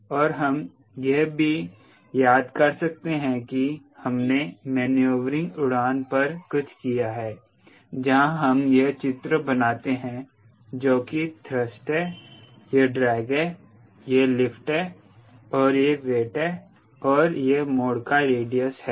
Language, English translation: Hindi, and we can also recall we have done something on maneuvering flight where you, we draw the schematic and this with thrust, this is drag, this is lift and this is width and this is radius of turn